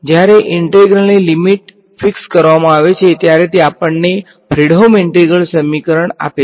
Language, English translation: Gujarati, When the limits of integration are fixed right so, that gives us a Fredholm integral equation